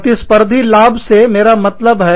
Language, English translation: Hindi, That is what, we mean by competitive advantage